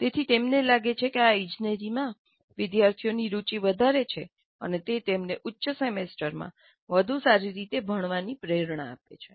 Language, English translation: Gujarati, They find that this enhances student interest in engineering and motivates better learning in higher semesters